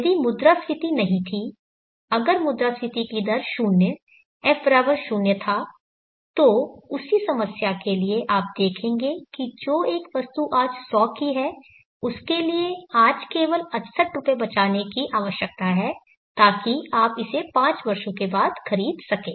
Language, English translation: Hindi, If inflation are not there if inflation rate were 0 F=0, then for the same problem you will see that rupees 68 only needs to be saved today which for an item it costs 100 today, so that you may buy it after five years